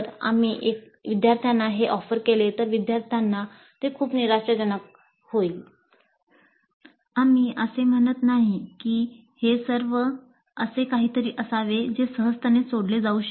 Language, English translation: Marathi, We are not saying that it should be something which can be solved very easily